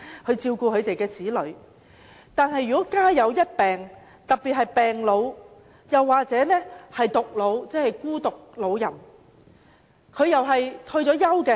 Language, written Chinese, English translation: Cantonese, 可是，有些情況是"家有一病"，特別是病老；還有一些是獨老，即孤獨老人的情況。, However in some cases it is about caring a patient at home particularly an elderly patient . In other cases it may involve a single elderly that is lonely elderly persons